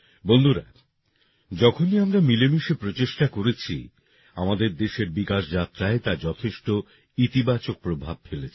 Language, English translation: Bengali, Friends, whenever we made efforts together, it has had a very positive impact on the development journey of our country